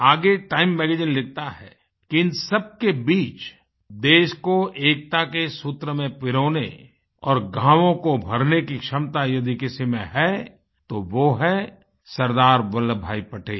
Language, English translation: Hindi, The magazine further observed that amidst that plethora of problems, if there was anyone who possessed the capability to unite the country and heal wounds, it was SardarVallabhbhai Patel